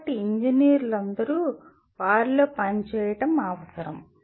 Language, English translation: Telugu, So all engineers are required to work within them